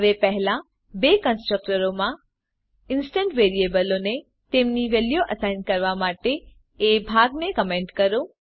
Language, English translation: Gujarati, Now comment the part to assign the instance variables to their values in the first two constructors